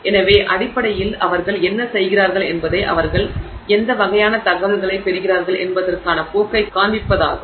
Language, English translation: Tamil, So, basically what they do is just to show you a trend of what kind of information they get